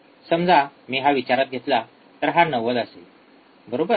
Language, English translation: Marathi, See if I consider this one this will be 90, right